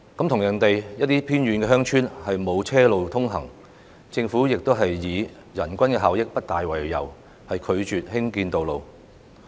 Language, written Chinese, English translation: Cantonese, 同樣地，有些偏遠鄉村沒有車路通行，政府也是以人均效益不大為由，拒絕興建道路。, Similarly some remote villages do not have vehicular access and the Government has refused to build such access roads on the ground that the per capita capital cost for the construction of such access roads is too high